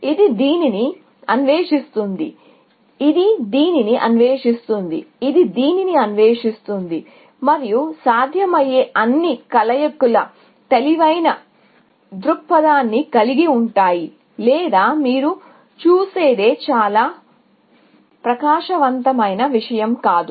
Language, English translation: Telugu, So, it will explore this; it will explore this; it will explore this; and all possible combinations, which of course, has an intelligent view or you would see is not a very bright thing to do, essentially